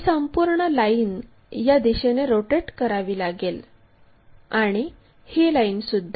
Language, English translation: Marathi, This entire line has to be rotated in that direction and this one also in that direction